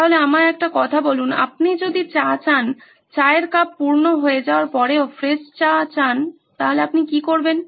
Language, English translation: Bengali, So tell me one thing if you want tea, fresh tea to be filled one even after the tea cup is full, what do you do